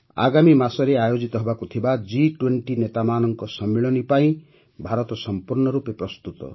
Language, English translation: Odia, India is fully prepared for the G20 Leaders Summit to be held next month